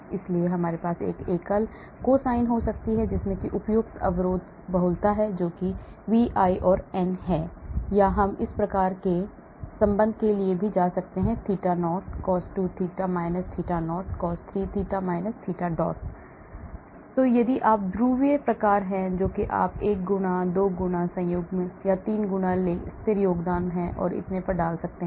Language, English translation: Hindi, so we can have a single cosine with appropriate barrier multiplicity that is Vi and n, or we can even go for these type of relation cos theta – theta not, cos 2 theta – theta not, cos 3 theta – theta not, so if you have dipole type you can put 1 fold, 2 fold, conjugation, 3 fold steady contributions and so on actually